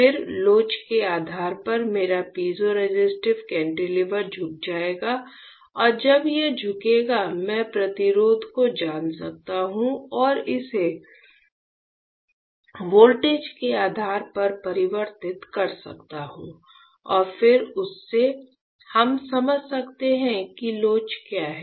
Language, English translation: Hindi, Then depending on the elasticity my piezoresistive cantilever will bend and when it bends; I can and I can know the resistance and convert it to a voltage depending and then from that we can understand what is the elasticity